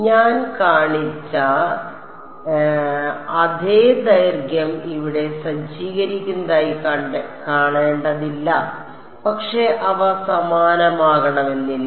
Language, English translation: Malayalam, It need not be the same lengths that I have shown are equispaced over here, but they need not be the same